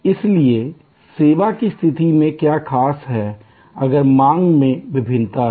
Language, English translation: Hindi, So, what is so special in case of service, if there is demand variation